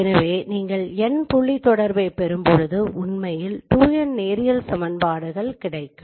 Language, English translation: Tamil, So there are actually 2n number of linear equations when you get n point correspondences